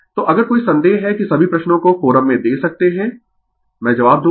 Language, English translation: Hindi, So, if you have any doubt you can put all that questions in the forum I will give you the answer right